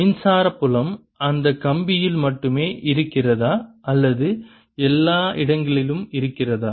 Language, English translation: Tamil, does it mean that electric field is only in that wire or does it exist everywhere